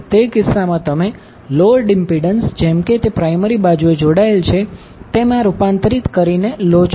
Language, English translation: Gujarati, So, in that case what you will do you will take the load impedance converted as if it is connected to the primary side